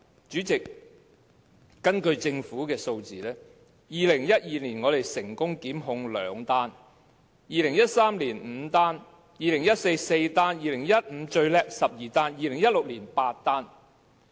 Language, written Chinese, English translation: Cantonese, 主席，根據政府的數字，在2012年成功檢控的個案有兩宗，在2013年有5宗，在2014年有4宗，在2015年做得最好，有12宗，在2016年則有8宗。, Chairman according to the statistics provided by the Government the numbers of successful prosecutions in 2012 2013 2014 2015 and 2016 were 2 5 4 12 also the highest number and 8 respectively